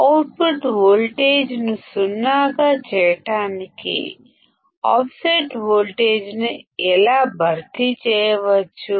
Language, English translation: Telugu, How can we compensate for the offset such that our output voltage would be zero